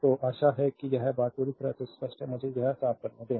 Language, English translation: Hindi, So, hope this thing is totally clear to you so, let me clean this right